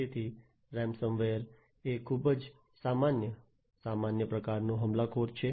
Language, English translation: Gujarati, So, ransom ware is a very common, common type of attacker, a common type of attack